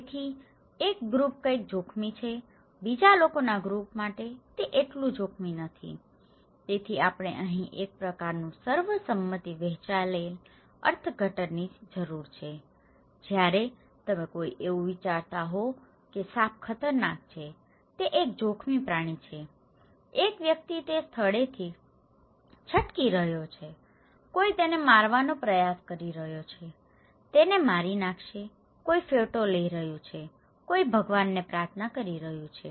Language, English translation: Gujarati, So, one group something is risky, for another group of people, it is not that risky so, we need a kind of consensus shared meaning of risk here, you can see the example like a snake when you someone is thinking that snake is dangerous, it is a risky animal, a person is escaping from that place, someone is trying to beat him, kill him, someone is taking picture, someone is praying to the God